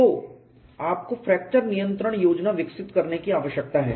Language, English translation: Hindi, So, you need to evolve a fracture control plan